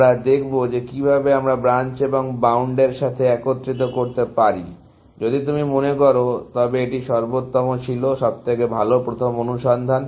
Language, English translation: Bengali, We will see that how we can combine Branch and Bound with, this was best first, if you remember; best first search